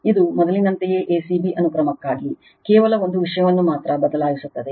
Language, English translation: Kannada, This is for your a c b sequence same as before, only one thing is changed